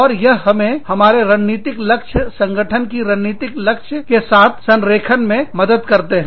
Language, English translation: Hindi, And, that helps us align our strategic goals, with the strategic goals of the organization